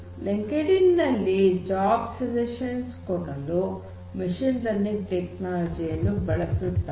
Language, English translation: Kannada, LinkedIn uses machine learning technology for suggesting jobs